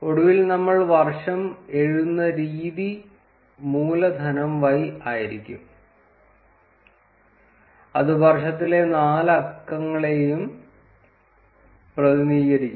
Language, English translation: Malayalam, And finally, the way we would write the year would be capital Y which represents all the four digits of the year